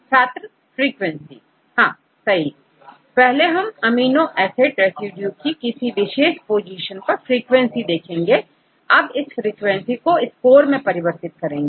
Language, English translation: Hindi, Yeah we try to calculate the frequency of occurrence of amino acid residues at any particular position, then we convert these frequencies into scores